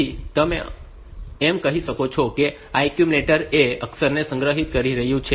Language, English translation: Gujarati, So, you can also say that this accumulate this accumulator is storing the character A